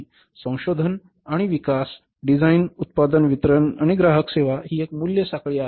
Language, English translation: Marathi, Research and development design, production, marketing, distribution, customer service, this is a value chain